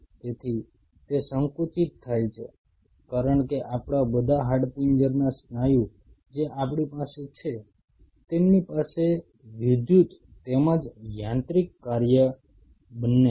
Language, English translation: Gujarati, So, that it contracts because all our skeletal muscle what we have they have both electrical as well as mechanical function